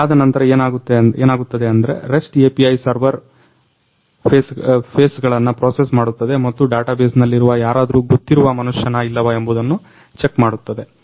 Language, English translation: Kannada, After that what happens is the REST API server processes the faces and checks whether some known person is found from the database